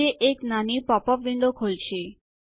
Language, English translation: Gujarati, This opens a small popup window